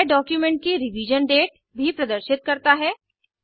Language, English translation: Hindi, It also shows the Revision date of the document